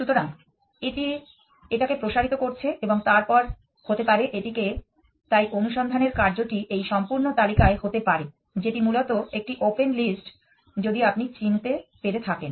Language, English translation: Bengali, So, it expands this and then may be it expands this, so the search can, so the jump around this entire list of nodes is essentially open list if you can make this out